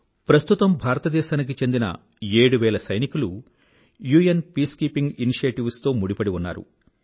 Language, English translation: Telugu, More than 18 thousand Indian security personnel have lent their services in UN Peacekeeping Operations